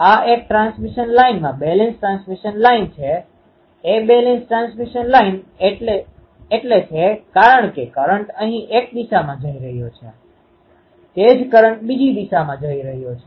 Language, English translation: Gujarati, This is a balance transmission line to a transmission line is a balance transmission line because current is going here in one direction the same current is returning in the other direction